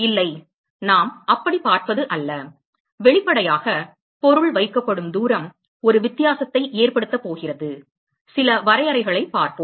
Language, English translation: Tamil, No, it is not we will see that so; obviously, the distance at which the object is placed is going to make a difference, we will see that some of the definition